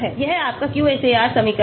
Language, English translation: Hindi, This is your QSAR equation